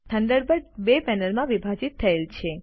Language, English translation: Gujarati, Thunderbird is divided into two panels